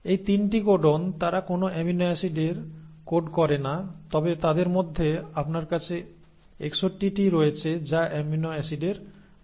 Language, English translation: Bengali, Now these 3 codons, they do not code for any amino acid but you have 61 of them which are coding for amino acid